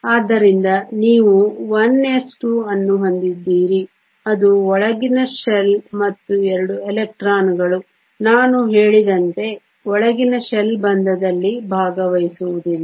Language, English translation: Kannada, So, you have the 1 s 2 which is a inner shell and as 2 electrons, as I said the inner shell does not take part in bonding